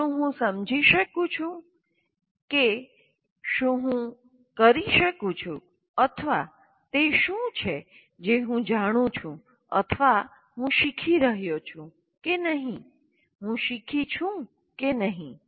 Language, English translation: Gujarati, Do I understand what is it that I can do or what is it that I know or whether I am learning or not, whether I have learned or not